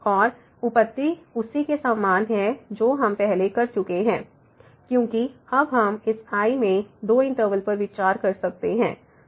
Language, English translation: Hindi, And, the proof is similar to what we have already done before because, now we can consider two intervals here in this